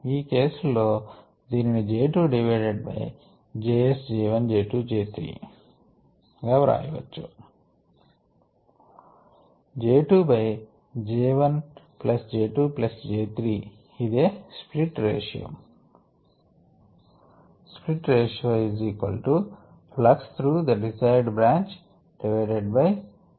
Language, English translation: Telugu, it can be written as j two divided by the sum of all js, j one, j two, j three in this case